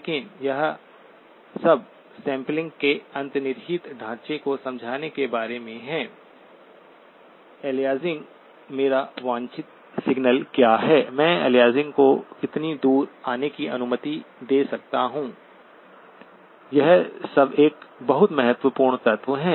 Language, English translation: Hindi, But it is all about understanding the underlying framework of sampling, aliasing, what is my desired signal, how far can I allow the aliasing to come, all of that is a very important element